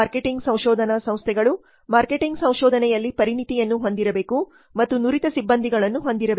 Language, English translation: Kannada, Marketing research firm should have specialization in marketing research and have skilled personnel